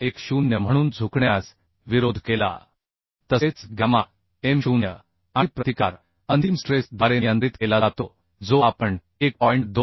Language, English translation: Marathi, 10 that also gamma m0 and resistance governed by ultimate stress that we are making 1